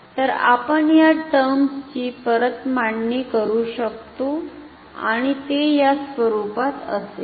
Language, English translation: Marathi, So, you can rearrange the terms and it will be of this form ok